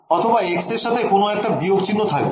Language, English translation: Bengali, Or there is a minus also with the sign of with a sign of x